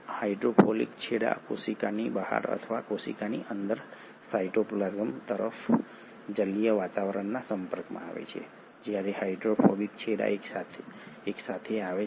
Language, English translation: Gujarati, With the hydrophilic ends exposed to the aqueous environment either outside the cell or inside the cell towards the cytoplasm, while the hydrophobic ends come together